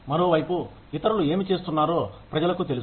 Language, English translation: Telugu, If on the other hand, people know, what the others are doing